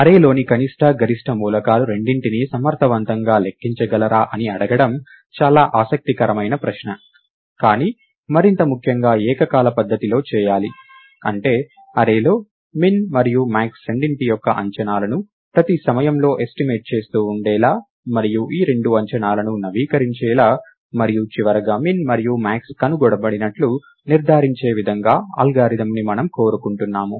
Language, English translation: Telugu, It is a very interesting exercise to ask, if one can compute, both the minimum and the maximum elements in the array by efficiently, but more importantly by in a simultaneous fashion; that is we want the algorithm at every point of time to keep estimates of both the min and max in the array, and update both these estimates, and finally, conclude that min and the max have been found